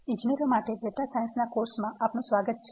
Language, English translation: Gujarati, Welcome to the course on data science for engineers